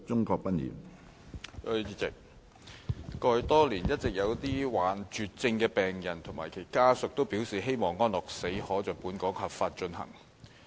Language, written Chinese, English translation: Cantonese, 過去多年，一直有一些罹患絕症的病人及其家屬表示希望安樂死可在本港合法進行。, It can be seen for many years patients suffering from terminal illnesses and their family members expressing the hope that euthanasia may be legally performed in Hong Kong